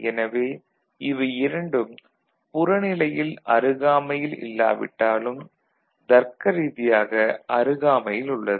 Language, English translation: Tamil, So, though they are physically not adjacent, but they are logically adjacent